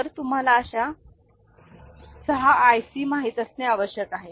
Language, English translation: Marathi, So, you will be requiring you know 6 such ICs